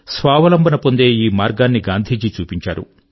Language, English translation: Telugu, This was the path shown by Gandhi ji towards self reliance